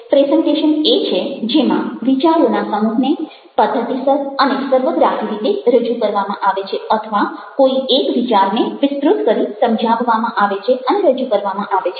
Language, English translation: Gujarati, presentation is where, in a systematic, comprehensive way, a set of ideas are been presented, or an idea is expanded, enlarged, elaborated and presented